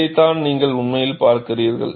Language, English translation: Tamil, This is what you are really looking at